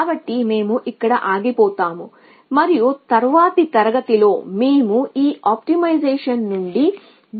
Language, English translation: Telugu, So, will stop here and in the next class we will move away from this optimization